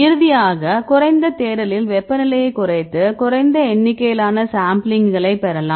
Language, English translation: Tamil, And finally, lower search you can lower temperature you can get less number of sampling